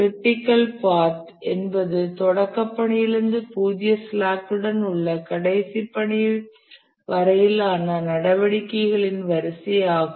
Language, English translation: Tamil, The critical path is the sequence of activities from the start task to the last task with zero slack